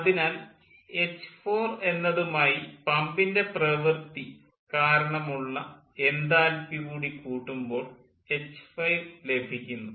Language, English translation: Malayalam, so by ah adding this pump work we can calculate the enthalpy at h seven